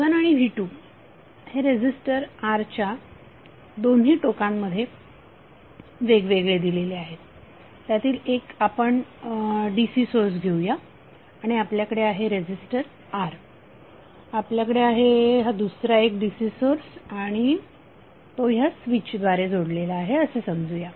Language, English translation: Marathi, So V1 and V2 we both are applying separately to a resistor R, let us take 1 dc source and we have resistor R, we have another dc source and suppose it is connected thorough some switch